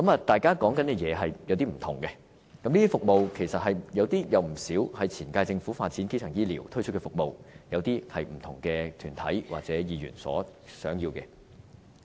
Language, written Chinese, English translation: Cantonese, 大家提出的服務有少許分別，當中有不少是前屆政府發展基層醫療而推出的服務，有些則是不同團體或議員所希望的。, The services proposed are slightly different from each other . Many of them are launched by the previous term of Government in the course of developing primary health care services while others are related to the aspirations of different organizations or Members